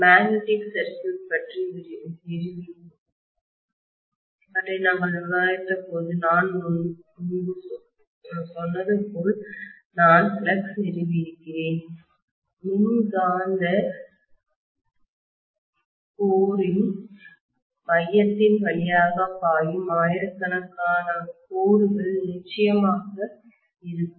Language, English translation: Tamil, Then I have the flux established as I told you earlier when we were discussing the magnetic circuit there will be definitely say thousands of lines that are flowing through the electromagnetic core